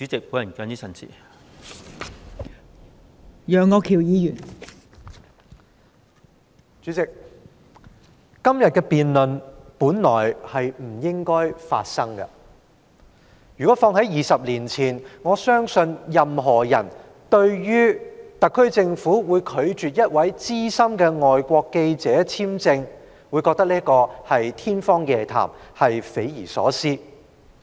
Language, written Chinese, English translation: Cantonese, 代理主席，今天的辯論本來不應發生，如果事情發生在20年前，對於特區政府拒絕向一位資深外國記者發出簽證，我相信任何人都會認為這是天方夜譚、匪夷所思。, Deputy President the debate today should not have taken place . If the incident happened 20 years ago I believe all of us would find it inconceivable that the Government of the Hong Kong Special Administrative Region SAR would refuse to issue a visa to a senior foreign journalist